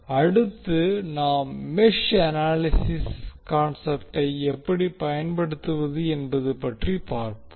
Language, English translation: Tamil, Next we see how we will utilize the concept of mesh analysis